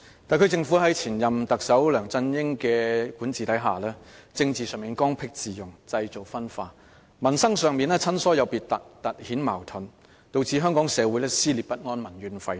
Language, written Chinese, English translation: Cantonese, 特區政府在前任特首梁振英的管治下，在政治上剛愎自用，製造分化；在民生上親疏有別，突顯矛盾，導致香港社會撕裂不安，民怨沸騰。, Under the governance of former Chief Executive LEUNG Chun - ying the SAR Government was obstinate and headstrong politically creating divisions; and on livelihood issues it treated people differently on the basis of affinity intensifying conflicts and hence tearing society apart and causing anxieties and seething public discontent